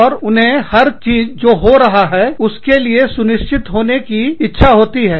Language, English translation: Hindi, And, they need to be sure of everything, that is happening